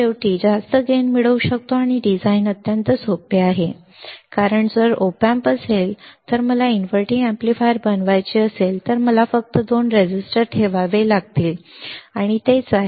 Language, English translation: Marathi, Finally, higher gain can be obtained and design is extremely simple, design is extremely simple why because if I have op amp if I may want to make inverting amplifier I have to just put two resistors and that is it